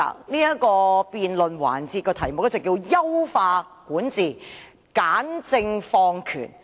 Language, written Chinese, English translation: Cantonese, 這項辯論環節的議題為"優化管治、簡政放權"。, The theme of this debate session is Enhance Governance Streamline Administration